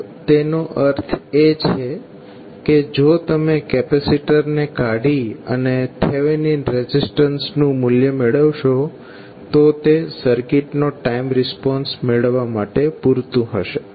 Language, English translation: Gujarati, So, that means that if you take out the capacitor and find the value of Thevenin resistance, that would be sufficient to find the time response of the circuit